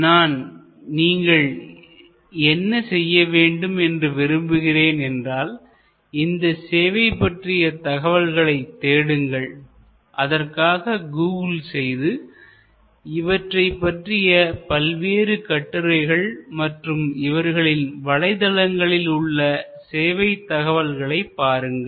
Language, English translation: Tamil, But, what I would like you to do is to look into these services, search out about them, read about them through Google, through their various articles will be available and you will be able to go to the website of this services